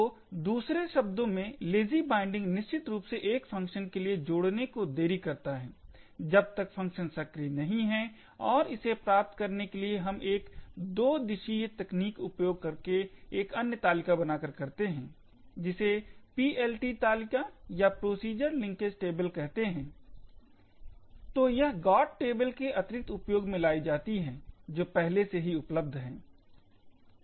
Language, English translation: Hindi, So in other words Lazy binding essentially delays binding for a function until the function is invoked and in order to achieve this we use a double indirection technique by making use of another table known as the PLT table or Procedure Linkage Table